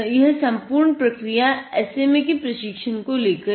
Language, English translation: Hindi, Now what we are doing now, is to train the SMA